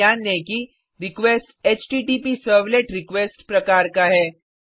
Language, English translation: Hindi, Also notice that, request is of type HttpServletRequest